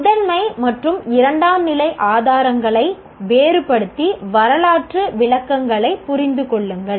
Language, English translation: Tamil, Distinguished between primary and secondary sources and understand historical interpretations